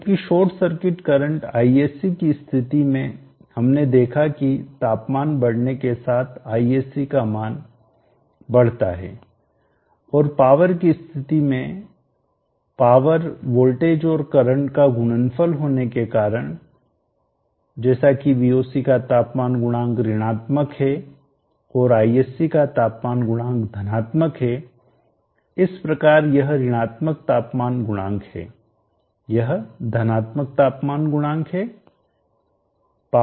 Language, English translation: Hindi, Therefore in the case of Voc we see that Voc will decrease as temperature increases per as in the case of short circuit current Isc we saw that Isc increases as temperature increases and in the case of power being a product of v x i as Voc is having a negative temperature coefficient and Isc is having a positive temperature coefficient so this is negative temperature coefficient this is positive temperature coefficient